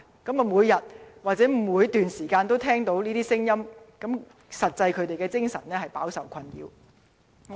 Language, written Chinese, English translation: Cantonese, 居民每天，以至無時無刻都聽到這些聲音，精神實在飽受困擾。, When residents are bombarded by these noises round the clock they suffer from great mental distress